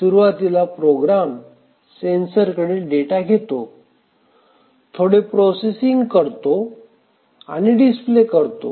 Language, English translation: Marathi, A program initially samples some sensors, then does some processing and then call some display